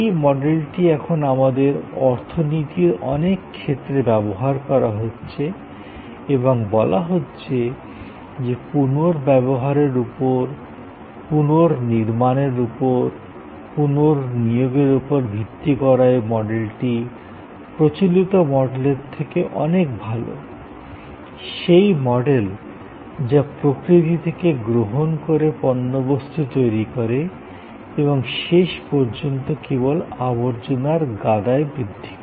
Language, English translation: Bengali, This model has now permitted many segments of our economy and it is being said that this model of based on reuse, based on recycling, based on remanufacturing or reassignment is a far better model than the earlier model of take from nature, makes stuff and ultimately enhance the waste heap, the garbage heap